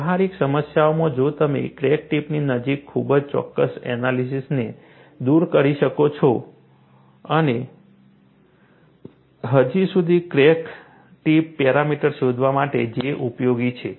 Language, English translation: Gujarati, If you can do away with very precise analysis near the crack tip, and yet to find out the crack tip parameters, J has been useful